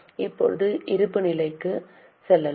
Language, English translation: Tamil, Now let us go to balance sheet